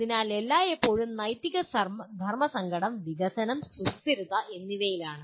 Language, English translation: Malayalam, So the ethical dilemma is always development versus sustainability